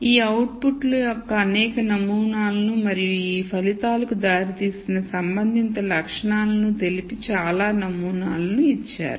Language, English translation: Telugu, Given several samples of these out puts and the corresponding attributes that resulted in these outputs